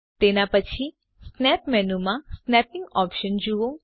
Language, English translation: Gujarati, After that, explore the snapping options in the snap menu